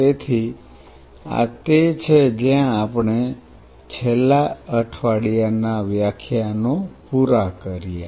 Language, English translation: Gujarati, So, this is where we kind of closed on the last week lectures